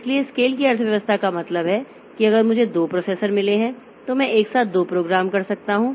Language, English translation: Hindi, So, economy of scale means so if I have got two processors then I can do two programs simultaneously